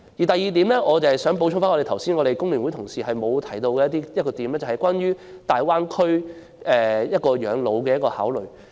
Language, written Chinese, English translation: Cantonese, 第二，我想補充剛才工聯會同事沒有提到的一點，便是關於在大灣區養老的考慮。, Second I would like to add one point not mentioned by other FTU colleagues which is about the consideration of retirement in the Greater Bay Area